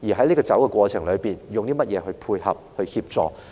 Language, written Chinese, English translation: Cantonese, 在走的過程中，我們要以甚麼來配合、協助？, What concerted efforts and assistance should we offer down the road?